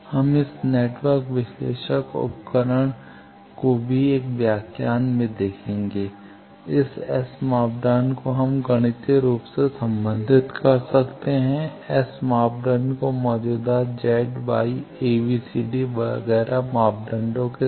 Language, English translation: Hindi, We will see in one of the lectures in this wave this network analyzer instrument also, this S parameter we can relate mathematically this S parameter with the existing Z Y a, b, c, d etcetera parameters